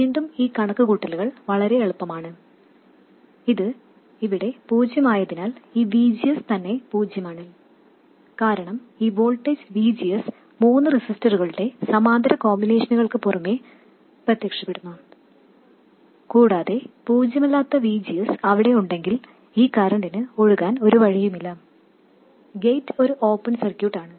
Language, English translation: Malayalam, You see that because this is zero here, this VGS itself is zero, because this voltage VGS appears across the parallel combination of these three resistors, and if there is any non zero VGS there will be nowhere for this current to flow